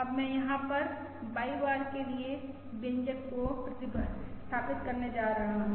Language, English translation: Hindi, Now I am going to substitute the expression for Y bar over here